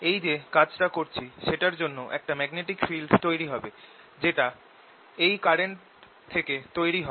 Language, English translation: Bengali, and that work that i am doing goes into establishing the magnetic field which arises out of this current